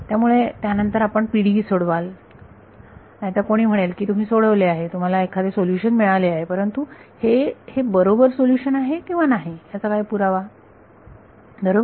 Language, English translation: Marathi, So, then you have solve the PDE, otherwise someone will say you have solved it you have got some solution, but what is the proof that this is the true solution right